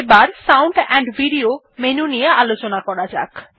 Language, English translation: Bengali, Then lets explore Sound amp Video menu